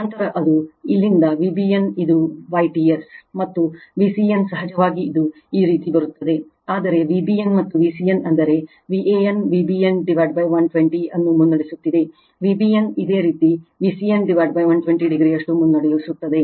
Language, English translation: Kannada, Then it is V b n it starts from here, and V c n of course it will come like this, but V b n and V c n that means, V a n is leading V b n by 120, V b n your leading V c n by 120 degree